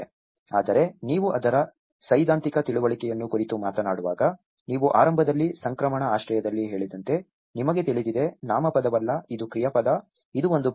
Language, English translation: Kannada, But when you talk about the theoretical understanding of it, you know as I said you in the beginning transition shelter is not a noun, it is a verb, it is a process